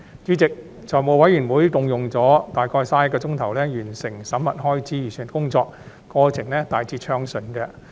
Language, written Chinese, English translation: Cantonese, 主席，財務委員會共用了約31小時完成審核開支預算的工作，過程大致順暢。, President the Finance Committee spent a total of approximately 31 hours completing the examination of the Estimates of Expenditure the process of which was smooth in general